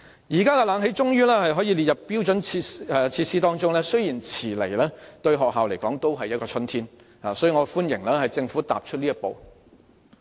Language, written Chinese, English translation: Cantonese, 現在空調設備終可列為標準設施，雖然遲來了，但對學校而言仍是春天，所以我歡迎政府踏出這一步。, Now that air - conditioning facilities will be provided as standard facilities and this though long overdue is still good news to schools and therefore I welcome this step taken by the Government